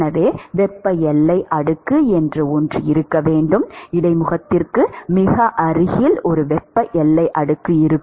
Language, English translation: Tamil, So, therefore, the there has to be something called thermal boundary layer, very close to the interface there will be a thermal boundary layer